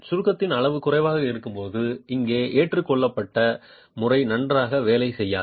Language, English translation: Tamil, The method adopted here does not work very well when the level of compression is low